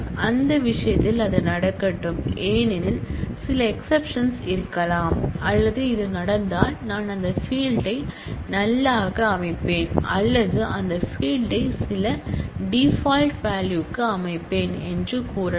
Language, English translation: Tamil, Let that happen in that case, because of the violation that could be some exceptions thrown or even say that if this happens then I will set that field to null or I will set that field to some default value and so on